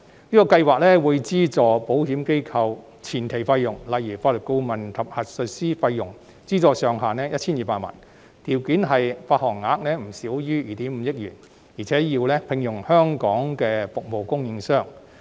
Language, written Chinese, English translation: Cantonese, 這項計劃會資助保險機構的相關前期費用，例如法律顧問及核數師費用，上限為 1,200 萬元，條件是保險相連證券的發行額不少於2億 5,000 萬元，並須聘用香港的服務供應商。, This pilot scheme will provide subsidies to cover the relevant upfront costs of insurance organizations eg . fees provided to legal advisers and auditors subject to a cap of 12 million . The eligibility criteria of the pilot scheme are that the issuance size of the insurance - linked securities is not less than 250 million and the issuer is required to engage Hong Kong service providers